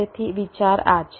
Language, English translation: Gujarati, this is the basis idea